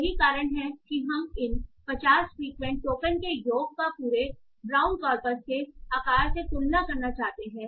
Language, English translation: Hindi, That is we want to compare the sum of the token count of these 50 frequent tokens with the entire round corpus size